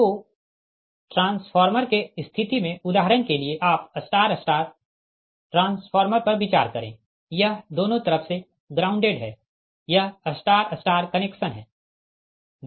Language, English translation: Hindi, so in this case, for transformer case, for example, you consider star star transformer, both side, it is grounded